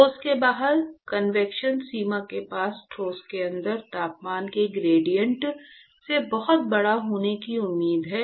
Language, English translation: Hindi, convection outside the solid is expected to be much larger than the gradient of temperature at the inside of the solid near the boundary